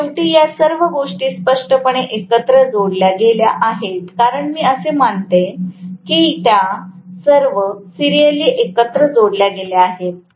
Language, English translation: Marathi, So, all of them are ultimately added together clearly because I assume that all of them are connected in series, ultimately